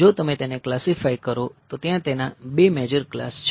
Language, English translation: Gujarati, if you classify then there are two major classes